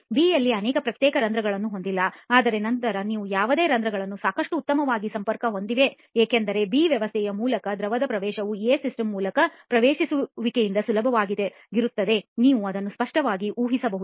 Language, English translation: Kannada, In B you do not have so many discrete pores but then whatever pores are there are fairly well connected because of which the permeation of a liquid through the B system will be much easier than the permeation through the A system right you can clearly imagine that